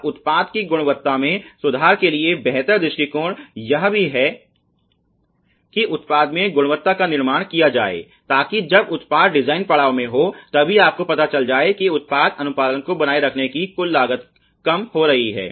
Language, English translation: Hindi, And also the preferable approach to improving the product quality is to build quality into the products so the product designs stage, so that again you know the overall costs of maintaining the product compliance is reduced ok